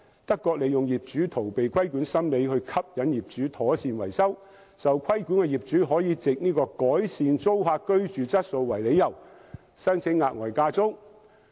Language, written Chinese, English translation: Cantonese, 德國利用業主逃避規管的心理，吸引業主妥善維修物業，受規管業主可以改善租客居住質素為理由，申請額外加租。, In Germany the policy takes advantage of the owners mentality of evading regulation . Owners under tenancy control can apply for extra rental increase on the grounds of improving the tenants living conditions . In this way owners are enticed to keep their properties well - maintained